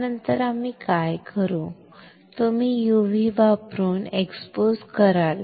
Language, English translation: Marathi, After this what we will do you will expose using UV